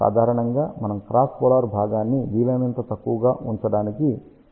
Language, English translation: Telugu, Generally speaking we would prefer cross polar component to be as small as possible